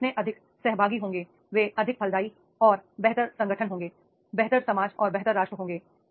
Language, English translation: Hindi, More participative or they are, they will be more fruitful and better organizations, better society will be, better nation will be there